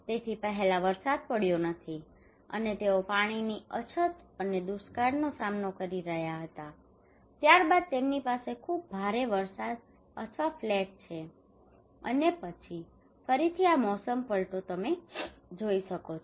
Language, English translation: Gujarati, So first there is no rain and they were facing water scarcity and drought, and then they have very heavy rain or flat and then again this seasonal shift you can see